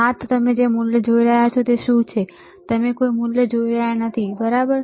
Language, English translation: Gujarati, Yes, so, what is the value you are looking at, you are not looking at any value, right